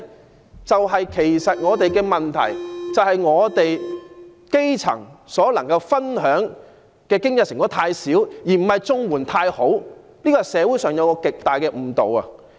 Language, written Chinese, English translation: Cantonese, 我想說的是，本港的問題在於基層所能分享的經濟成果太少，而不是綜援太好，這是社會上一個極大的誤導。, My point is that at issue is that the grass roots are sharing too small a portion of the fruits of the economy but not that the benefits of CSSA are too good . There is a great misunderstanding in the community